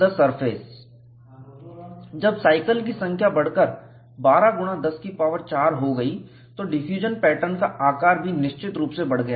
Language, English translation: Hindi, When the number of cycles increased to 12 into 10 power 4, the size of the diffusion pattern has definitely grown